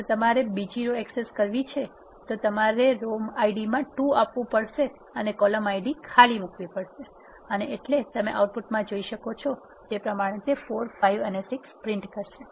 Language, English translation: Gujarati, If you want to access row 2 you have to specify in the row ID as 2 and leave empty space in the column ID and so that row two all the columns will print it and you will be able to access 4 5 6